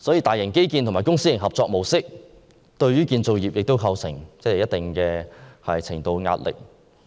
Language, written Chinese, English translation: Cantonese, 大型基建和公私營合作模式，對建造業亦構成一定程度的壓力。, Mega infrastructure projects and the public - private partnership approach have also exerted certain pressure on the construction industry